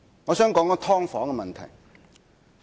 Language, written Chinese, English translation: Cantonese, 我想談一下"劏房"的問題。, I would like to talk about the issue of subdivided units